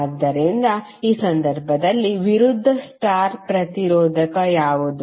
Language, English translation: Kannada, So in this case, what is the opposite star resistor